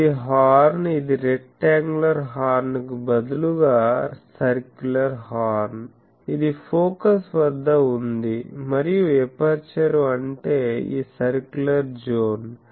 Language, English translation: Telugu, This is the horn this is the circular horn instead of a rectangular horn, it is at the focus and aperture means this circular zone